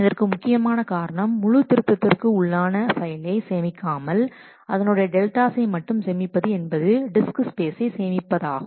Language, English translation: Tamil, The main reason behind storing the deltas rather than storing the full revision files is to save the disk space